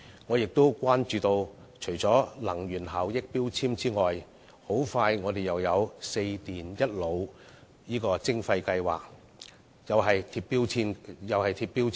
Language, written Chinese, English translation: Cantonese, 我關注到，除能源標籤外，香港不久後又將會就"四電一腦"實施徵費計劃，規定銷售商亦須貼上標籤。, My concern is that apart from energy labels Hong Kong will soon implement a levy scheme for four categories of electrical equipment and one category of computer products to require sellers to affix labels to such products as well